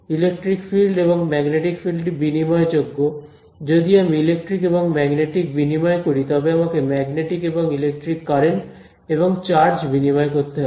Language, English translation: Bengali, Electric field and magnetic field are interchangeable if I interchange electric and magnetic, I have to interchange magnetic and electric currents magnetic and electric charge right